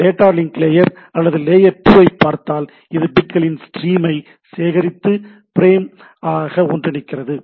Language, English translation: Tamil, If we look at the data link layer or the layer 2, it collects a stream of bits into a larger aggregate called frame